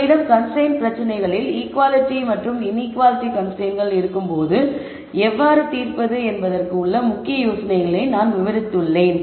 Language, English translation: Tamil, I have also described the key ideas behind how to solve constrained optimization problems when you have equality and inequality constraints